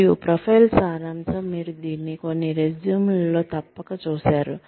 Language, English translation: Telugu, And, a profile summary is, you must have seen this, in some resumes